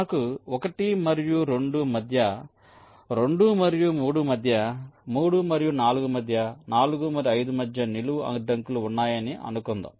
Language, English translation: Telugu, suppose we have a vertical constraint between one and two, say between two and three, three and four and say four and five